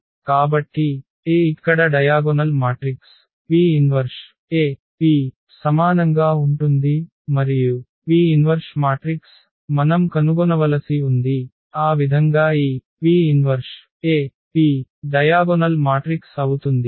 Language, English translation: Telugu, So, the meaning this A is similar to the diagonal matrix here; AP inverse AP and this P is invertible matrix which we have to find, so that this P inverse AP becomes a diagonal matrix